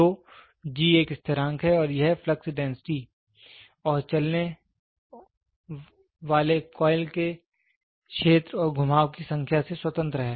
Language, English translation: Hindi, So, G is a constant and it is independent of the flux density and the moving and area of the moving coil and number of turns